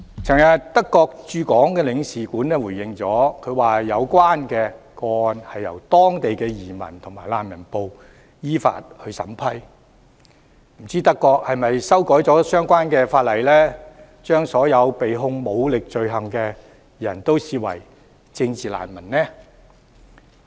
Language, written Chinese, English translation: Cantonese, 昨天德國駐港領事館回應指有關個案由當地的移民及難民部門依法審批，不知道德國是否修改了相關法例，把所有被控武力罪行的人視為政治難民呢？, Yesterday the German Consulate General Hong Kong responded that the relevant cases were vetted and approved by the Federal Office for Migration and Refugees . I wonder if Germany has amended the relevant legislation treating all those charged with offences involving the use of force as political refugees